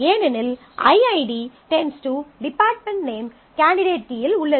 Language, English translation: Tamil, Because i ID determining department name is contained in a candidate key